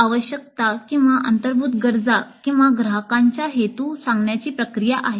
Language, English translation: Marathi, So it is more a process of eliciting the requirements or the implicit needs or the intentions of the customers